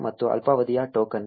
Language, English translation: Kannada, And a short lived token